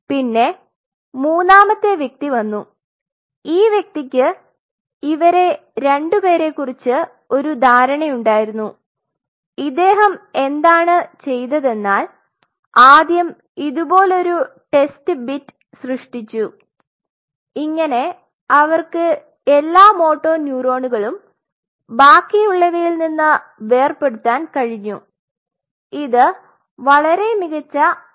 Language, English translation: Malayalam, And then there came a third person who had an idea about these two what he did was creating a test bit like that and they could get all the motor neurons separated from all the rest, very smart technique